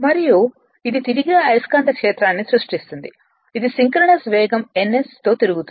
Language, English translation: Telugu, And it creates a rotating magnetic field which rotate at a synchronous speed your what you call ns right